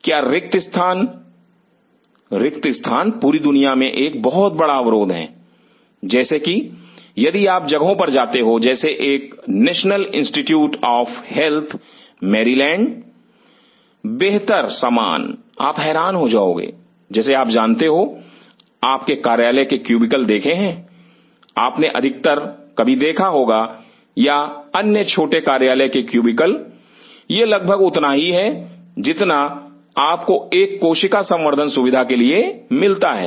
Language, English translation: Hindi, Is space, space is a huge constraints all over the world, like if you go to places like a national institute of health at Maryland, better stuff you will be surprised like you know you have seen the office cubicles most of you have seen some time or other small office cubicles, it is almost that is the size of the facility you get for cell culture